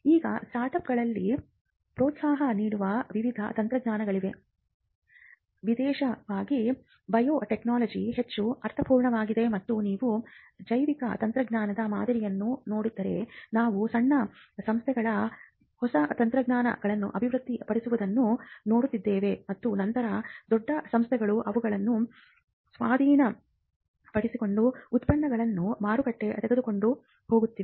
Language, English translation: Kannada, Now, there are various technologies way incubating startups makes much more sense, especially in biotechnology and if you see the pattern in biotechnology, we have been seeing smaller firms developing new technologies and later on bigger firms acquiring them and taking the product to the market